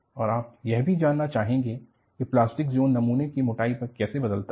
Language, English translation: Hindi, And, you also want to know, how the plastic zone does vary, over the thickness of the specimen